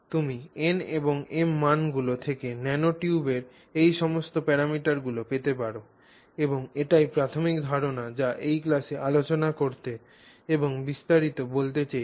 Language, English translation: Bengali, So, therefore you can get all these parameters of the nanotube from NNM values and that really is the primary idea that I wanted to discuss and elaborate upon in this class